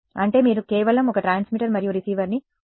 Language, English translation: Telugu, That means, you just want to use one transmitter and receiver